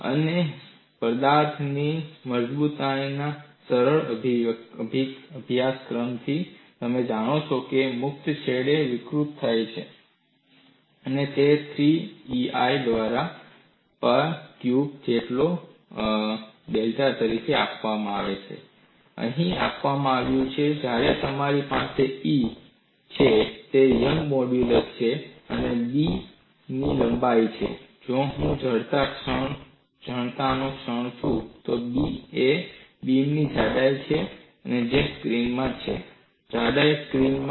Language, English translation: Gujarati, And from a simple course in strength of materials, you know what is deflection at the free end, and that is given as delta equal to Pa cube by 3EI; that is what is given here, where you have E is young's modulus; a is the length of the beam; I is moment of inertia; B is the thickness of the beam which is into the screen; the thickness is in the into the screen